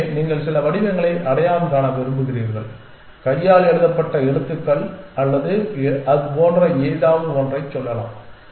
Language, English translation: Tamil, So, you want to recognize some patterns let us say hand written characters or something like that essentially